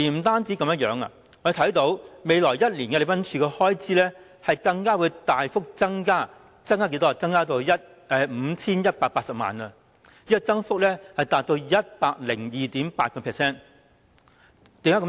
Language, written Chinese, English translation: Cantonese, 此外，我們看到在未來一年，禮賓處的開支會大幅增加至 5,180 萬元，增幅達 102.8%， 為何會這樣？, In this context is that not awesome? . Moreover we can see that the expenses of the Protocol Division will increase dramatically by 51.8 million next year at an increase rate of 102.8 %